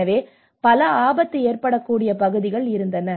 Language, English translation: Tamil, So there has been a very multiple hazard prone areas okay